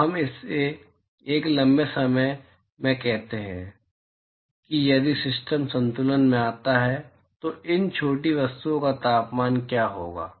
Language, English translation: Hindi, So, let us say at a long time if the system achieves in equilibrium, what will be the temperatures of these small objects inside